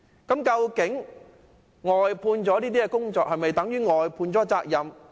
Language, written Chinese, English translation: Cantonese, 外判工程是否等於外判責任？, Is the outsourcing of works tantamount to the outsourcing of responsibility?